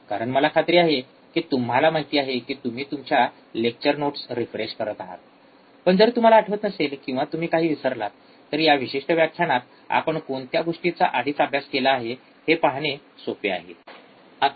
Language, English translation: Marathi, Because that I am sure that you know you are refreshing your lecture notes, but if you do not remember, or you have forgot something, it is easy to see in this particular lecture what things we have already studied